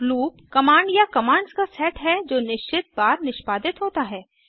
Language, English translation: Hindi, A loop is a command or set of commands that are executed a fixed number of times